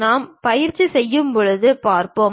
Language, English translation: Tamil, When we are practicing we will see